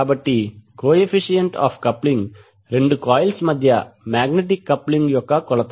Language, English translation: Telugu, So coefficient of coupling is the measure of magnetic coupling between two coils